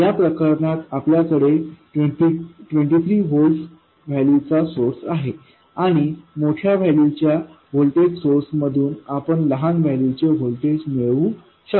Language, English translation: Marathi, In this case, we have a 23 volt And the smaller of the voltages we will generate that one from the larger voltage